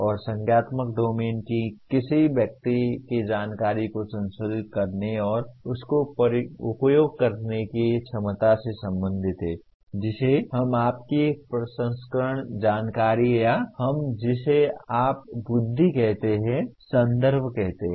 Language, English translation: Hindi, And cognitive domain deals with the person’s ability to process and utilize information in a meaningful way what we call reference/references to your processing information or what you call we call it intellect